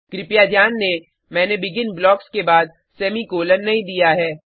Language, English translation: Hindi, Please note, I have not given the semicolon after the BEGIN blocks